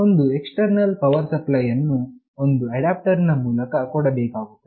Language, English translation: Kannada, An external power supply through an adapter is required